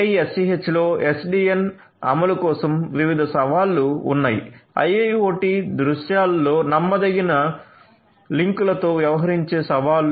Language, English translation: Telugu, For implementation of SDN in 6TiSCH there are different challenges; challenges of dealing with unreliable links in a IIoT scenarios